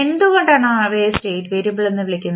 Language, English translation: Malayalam, Why we call them state variable